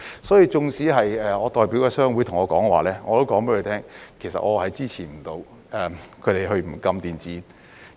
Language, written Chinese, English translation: Cantonese, 所以，縱使我代表的商會對我說，我亦告訴他們，其實我無法支持他們不禁電子煙。, So even though the trade association that I represent told me so I still told them that I could not support their view that e - cigarettes should not be banned